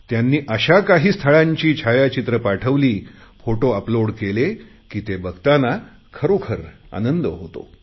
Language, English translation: Marathi, Photos of such magnificent places were uploaded that it was truly a delight to view them